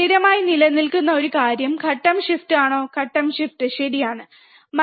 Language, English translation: Malayalam, One thing that remains constant is the phase shift, is the phase shift, right